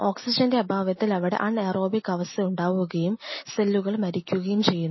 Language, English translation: Malayalam, Because in the absence of oxygen in it is absence which is an Anaerobic situation these cells will die